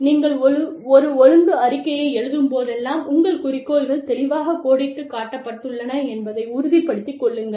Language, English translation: Tamil, Whenever, you write up a disciplinary report, please make sure, that your goals are clearly outlined